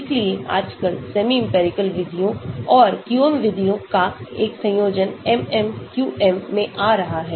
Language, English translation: Hindi, so nowadays a combination of semi empirical methods and QM methods are coming into MMQM